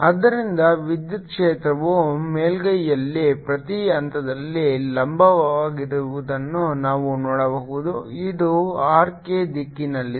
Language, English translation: Kannada, so we can see electric field is perpendicular at every point on the surface which is along the r k direction